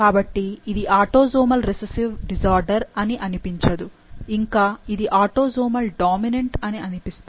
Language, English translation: Telugu, So, it doesn't seem that this is a autosomal recessive disorder, it seems that it is autosomal dominant